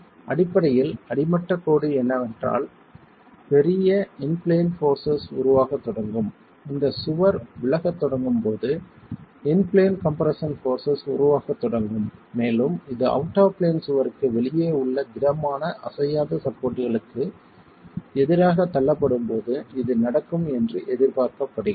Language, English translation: Tamil, So, basically, bottom line is there are large in plane forces that start developing, in plane compression forces that start developing when this wall starts deflecting and this is expected to happen when this out of plane wall is butted against rigid, non supports